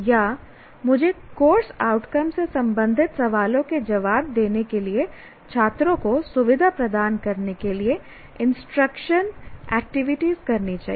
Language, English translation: Hindi, Or, I must be able to, I must be able to I must perform instruction activities to facilitate the students to answer questions related to the course outcome